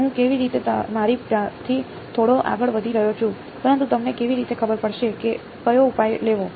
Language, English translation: Gujarati, How I am getting a little ahead of myself, but how would you know which solution to take